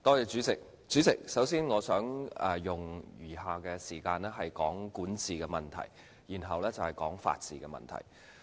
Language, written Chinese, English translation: Cantonese, 主席，首先，我想用餘下的時間談談管治問題，然後再談法治問題。, First of all President I would like to spend the remaining time on talking about issues relating to governance and then issues relating to the rule of law